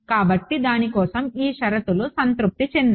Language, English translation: Telugu, So, for that on this conditions are satisfied